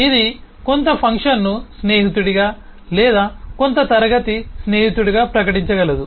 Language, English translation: Telugu, it can declare some function to be a friend or some class to be a friend